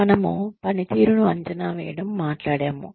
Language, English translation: Telugu, We talked about, appraising performance